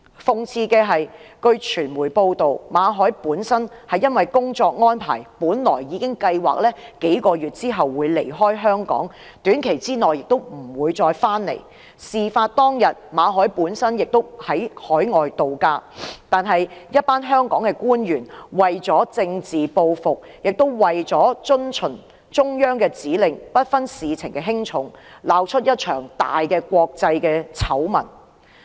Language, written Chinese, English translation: Cantonese, 諷刺的是，根據傳媒報道，馬凱由於工作安排，已計劃於幾個月後離開香港，亦不會在短期內回來，事發當天馬凱亦正在海外度假，但一群香港官員為了政治報復並為遵循中央指令，不分事情輕重，竟鬧出一場國際大醜聞。, Ironically according to media reports owing to work arrangements Victor MALLET had already planned to leave Hong Kong in a few months and would not return within a short period of time . When the incident took place he was on vacation abroad . Some Hong Kong officials took an action in political retaliation and as instructed by the Central Government without giving due consideration to the seriousness of the matter and resulted in a big international scandal